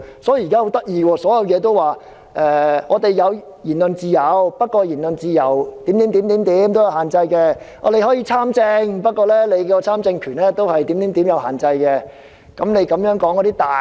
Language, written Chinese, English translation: Cantonese, 所以，現時情況相當有趣，雖然說我們有言論自由，但言論自由是有限制的；我們可以參政，但參政權也是有限制的。, So the present situation is rather interesting; although we have freedom of speech the freedom is restrictive; although we can participate in politics the right to participate in politics is also limited